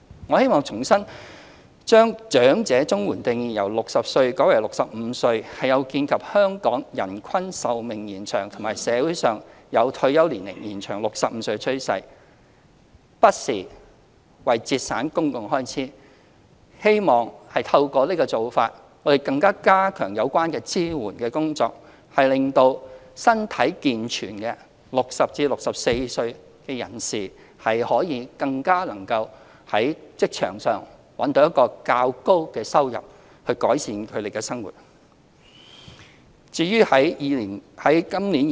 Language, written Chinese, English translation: Cantonese, 我希望重申，把長者綜援的定義由60歲改為65歲是有見香港人均壽命延長和社會有把退休年齡延至65歲的趨勢，不是為節省公共開支，希望透過這個做法，加強有關支援工作，令到身體健全的60至64歲人士更加能夠在職場覓得較高的收入，改善生活。, I would like to reiterate that the change of the definition of elderly under the elderly CSSA from 60 to 65 is made in view of the improved life expectancy of the population of Hong Kong and the trend of extending the retirement age to 65 in society but not for the purpose of cutting public expenditure . Through this change we hope to step up the efforts in providing relevant support so that able - bodied persons aged between 60 and 64 may obtain a higher income from work and improve their livelihood